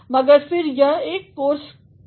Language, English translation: Hindi, But, then it is a course here